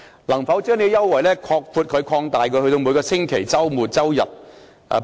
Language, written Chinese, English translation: Cantonese, 能否將這項優惠擴大至每個周末及周日？, Can this concession be extended to every Saturday and Sunday?